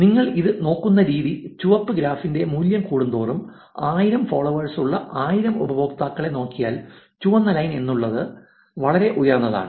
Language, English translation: Malayalam, The way you look at this is that the more the value on the red graph, red line is which is if you look at the 1000 users which has 1000 followers which is in degree which is very high